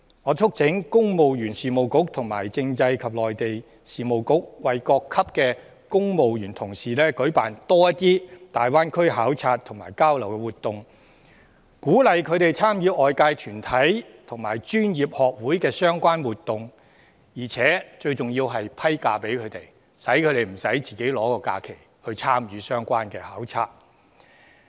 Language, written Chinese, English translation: Cantonese, 我促請公務員事務局和政制及內地事務局為各級公務員同事多舉辦一些大灣區考察和交流，鼓勵他們參與外界團體和專業學會主辦的相關活動，而且最重要是給予他們假期，讓他們不需使用自己的年假來參與相關的考察。, I urge the Civil Service Bureau and the Constitutional and Mainland Affairs Bureau to organize for civil servants at various levels more visits to and exchanges with the Greater Bay Area encourage them to participate in relevant activities organized by external bodies and professional associations . And more importantly they should be given extra leaves for taking part in the relevant visits so that they can spare their own annual leaves